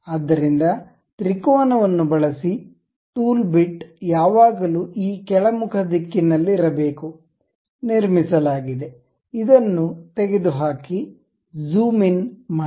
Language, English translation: Kannada, So, use triangle, tool bit always be in this downward direction, constructed remove this one, zoom in